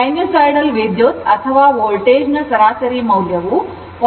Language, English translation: Kannada, Average value of the sinusoidal current or voltage both are multiplied by 0